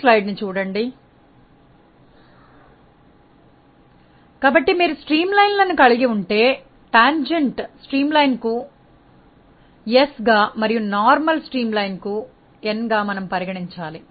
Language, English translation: Telugu, So, if you have a streamline we consider tangential to the streamline as s and normal to the streamline as n ok